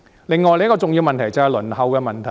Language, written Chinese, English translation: Cantonese, 另一個重要問題，就是輪候時間。, Another important issue is precisely the length of wait